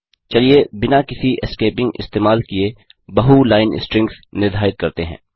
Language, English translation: Hindi, Let us define multi line strings without using any escaping